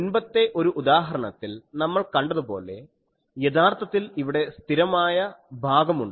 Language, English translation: Malayalam, And we can actually in a previous example also we have seen there is a constant part